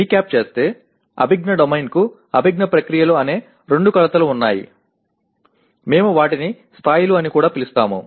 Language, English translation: Telugu, Okay to recap, cognitive domain has two dimensions namely cognitive processes; we also call them levels